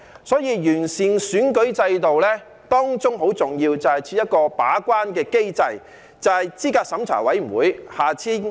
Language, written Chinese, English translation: Cantonese, 所以，要完善選舉制度，當中很重要的是要設立一個把關的機制，也就是資審會。, Therefore in order to improve the electoral system it is vitally important to set up a gate - keeping mechanism and that is CERC